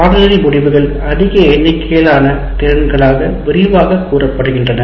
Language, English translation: Tamil, That means course outcomes are elaborated into a larger number of competencies